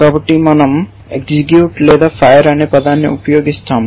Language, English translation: Telugu, So, we use a term execute or fire